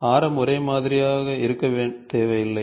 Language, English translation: Tamil, So, the radius need not be uniform